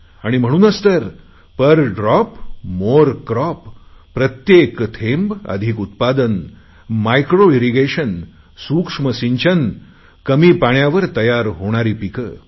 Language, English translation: Marathi, And so there is need for implementing the maxim 'Per Drop More Crop' through MicroIrrigation and cultivating crops that require minimal water intake